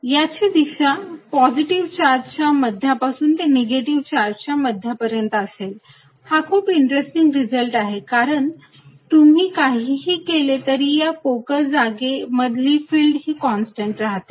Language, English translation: Marathi, And it is direction is from the centre of the positive charge towards the centre of the negative, this is very interesting result no matter what you do field inside is constant in this hollow region